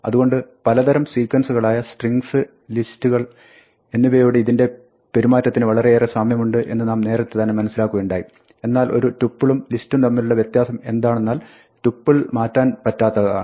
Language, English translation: Malayalam, So, this behaves very much like a different type of sequence exactly like strings and lists we have seen so far, but the difference between a tuple and a list is that a tuple is immutable